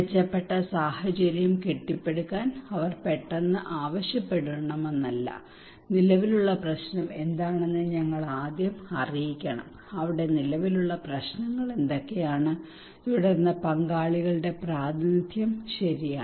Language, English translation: Malayalam, It is not that they will suddenly call for involving in construction process in a build back better situations, but we should first let know that what is the existing problem what are the concerns there what are the prevailing issues there okay and then representation of the stakeholders